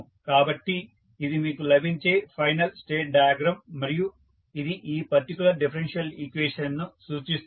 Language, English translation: Telugu, So, this is the final state diagram which you will get and this will represent these particular differential equation